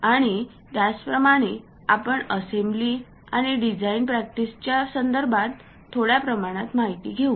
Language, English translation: Marathi, And a few little bit expertise in terms of assembly and design practice also we will cover